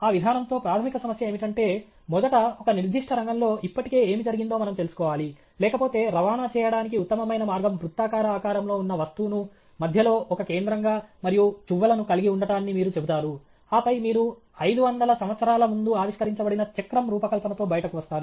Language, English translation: Telugu, The basic problem with that approach is, first, we should know what all have already been done in a particular field; otherwise, you will say the best way to transport is to have a circularly shaped object, with hub in between, and spokes, and then, you will come out with the design of a wheel which is of 500 or 500 years old or something; you should not reinvent the wheel okay